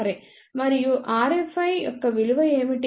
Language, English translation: Telugu, And what is the value of r F i